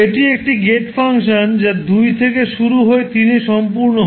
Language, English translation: Bengali, This is a gate function which starts from two and completes at three